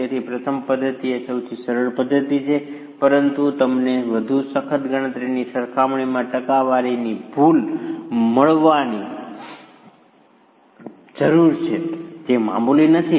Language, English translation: Gujarati, So, the first method is the simplest method but you are bound to get percentage error in comparison to a more rigorous calculation which is not insignificant